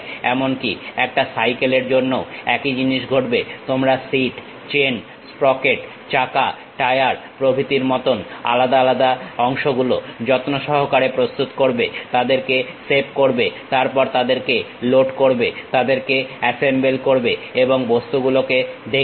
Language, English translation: Bengali, Similar thing happens even for cycle, you prepare something like a seat, chain, sprocket, wheel, tire, individual parts you carefully prepare it, save them, then load them, assemble them and visualize the objects